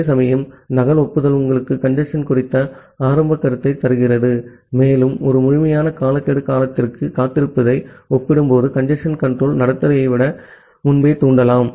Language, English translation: Tamil, Whereas, duplicate acknowledgement gives you a early notion of congestion, and you can trigger the congestion control behavior much earlier compared to waiting for a complete timeout period